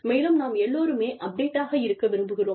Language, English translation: Tamil, And, we all want to stay, updated